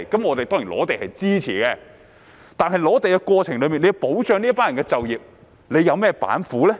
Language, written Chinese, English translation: Cantonese, 我們對於收地當然是支持的，但在收地過程中要保障這群人的就業，政府有甚麼板斧呢？, We certainly support land resumption but what measures does the Government have up its sleeve to safeguard the employment of this group of people in the process of land resumption?